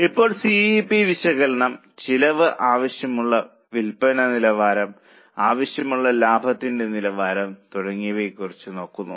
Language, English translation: Malayalam, Now, CVP analysis takes a look at this like cost, desired level of sales, desired level of profit and so on